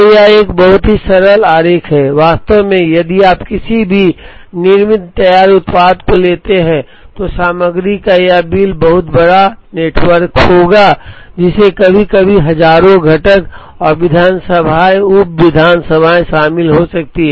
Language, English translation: Hindi, So, it is a very simple diagram, in reality if you take any manufactured finished product, this bill of material would be a much bigger network, which could sometimes involve thousands of components and assemblies and sub assemblies